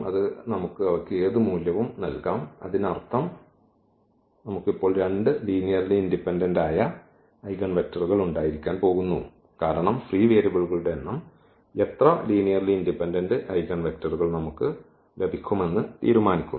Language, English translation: Malayalam, So, we can assign any value to them; that means, we are going to have now two linearly independent eigenvectors because a number of free variables decide exactly how many linearly independent eigenvectors we will get